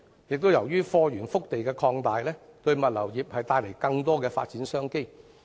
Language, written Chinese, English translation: Cantonese, 再者，由於貨源腹地擴大，物流業因而獲得更多發展商機。, Moreover with an increase in the source of supplies from the hinterland of China the logistics industry will have more business opportunities